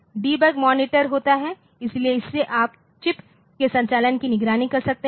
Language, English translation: Hindi, Then there is a debug monitor; so, that will be handling this you can monitor the operation of the chip